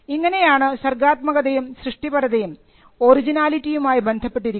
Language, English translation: Malayalam, So, this is how creativity came to be attributed to originality or the thing being original or the thing being novel